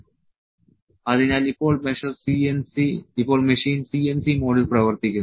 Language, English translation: Malayalam, So, now the machine is working in a CNC mode